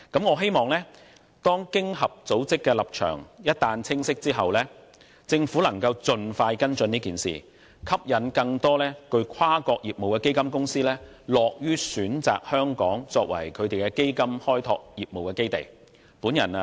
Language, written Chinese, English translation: Cantonese, 我希望一俟經濟合作與發展組織的立場清晰，政府能盡快跟進此事，以吸引更多有跨國業務的基金公司樂於選擇香港作為基金開拓業務的基地。, I hope that the Government will follow up on this matter expeditiously once OCED has made its position clear with a view to attracting more multi - national fund companies to choose to domicile in Hong Kong from where they will expand their fund business